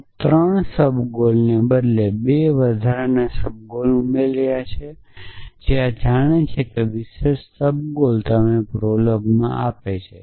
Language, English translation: Gujarati, So, instead of 3 subgoels you have added 2 extra subgoels these are which special subgoels is prolog allows you